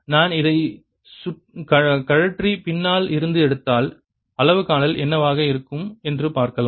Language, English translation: Tamil, i'll take this off and take it from behind and see what the reading would be